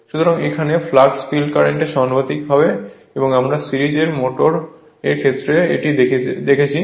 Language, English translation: Bengali, So, flux is proportional to the field current right we will see the series motors and how is it